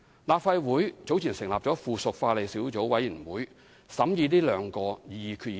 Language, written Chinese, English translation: Cantonese, 立法會早前成立了附屬法例小組委員會，審議這兩項擬議決議案。, Earlier on the Legislative Council formed a subcommittee on subsidiary legislation to scrutinize these two proposed resolutions